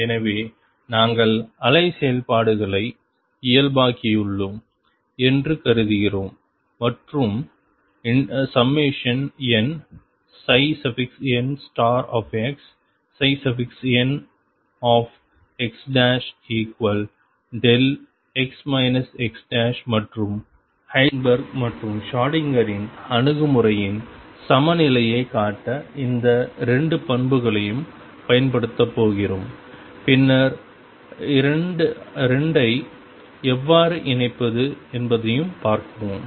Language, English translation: Tamil, So, we are assuming we have normalized the wave functions and summation n psi n star x psi n x prime equals delta x minus x prime and we are going to use these 2 properties to show the equivalence of Heisenberg’s and Schrödinger’s approach and then see how to connect the 2